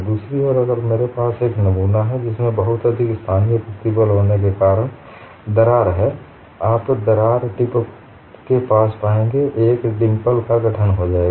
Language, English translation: Hindi, On the other hand, if I have a specimen, which has a crack because of very high local stress, you will find near the crack tip, a dimple would be formed